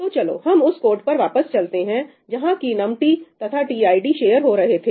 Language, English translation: Hindi, So, let us go back to the code where num t and tid were shared